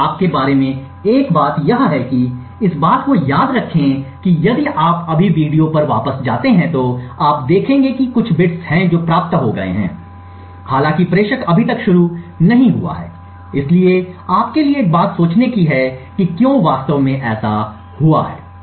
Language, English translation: Hindi, Now one thing for you think about is that recollect that or if you just go back on the video you will see that there are some bits that gets received even though the sender has not yet started, so one thing for you to think about is why such a thing has actually happened